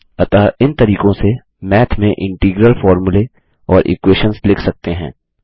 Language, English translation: Hindi, So these are the ways we can write integral formulae and equations in Math